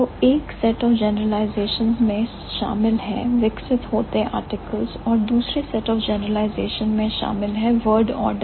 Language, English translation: Hindi, So, one set of generalization involves evolving articles, the other set of generalization involves evolving the order pattern